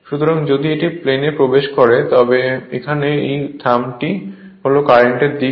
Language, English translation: Bengali, So, if the current is entering into the plane that this is the direction of the current thumb looked at by thumb